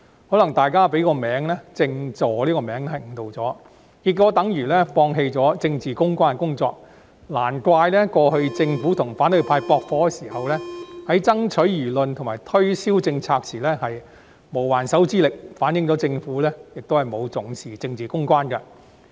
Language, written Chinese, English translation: Cantonese, 可能大家被"政治助理"的名稱誤導，結果等於放棄政治公關的工作，難怪過去政府與反對派駁火時，在爭取輿論及推銷政策時無還手之力，反映出政府亦不重視政治公關。, Perhaps we have been misled by the title Political Assistant . So it looks like the Government has discarded the work of political public relations in the end . No wonder the Government was totally defenceless when it exchanged gunfire with the opposition camp during its lobbying for public opinion support and policy promotion